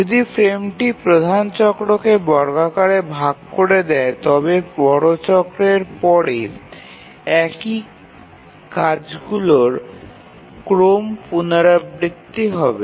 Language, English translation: Bengali, If the frame squarely divides the major cycle, then after the major cycle the same task sequence will repeat